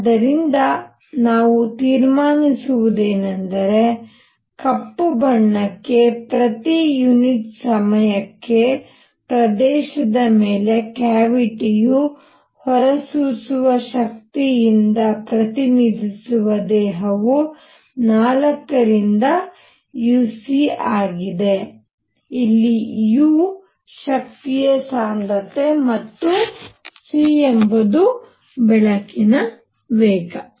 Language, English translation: Kannada, So, what we conclude is for a black body represented by a cavity emissive power over area per unit time is u c by 4; where u is the energy density and c is the speed of light